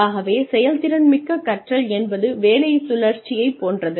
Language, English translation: Tamil, So, action learning is similar to job rotation